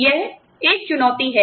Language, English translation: Hindi, That is a challenge